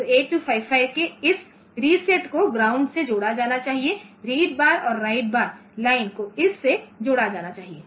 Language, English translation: Hindi, So, this reset of 8255 should be connected to ground read bar write bar line should be connected to this